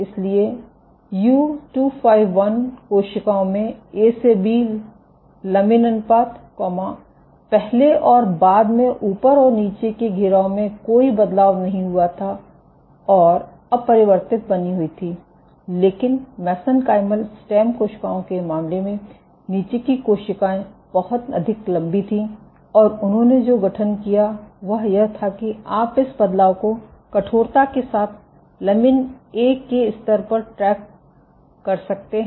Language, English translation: Hindi, So, in U251 cells which had low lamin A to B ratio, there was no change before and after at the top and the bottom the circularity remained unchanged, but in case of mesenchymal stem cells the bottom cells were much more elongated, and what they also formed was you could track this change in stiffness with the lamin A levels ok